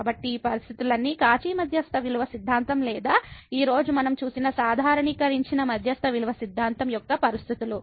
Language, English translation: Telugu, So, all these conditions are the conditions of the Cauchy mean value theorem or the generalized mean value theorem we have just seen today